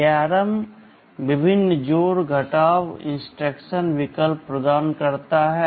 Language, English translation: Hindi, ARM provides with various addition and subtraction instruction alternatives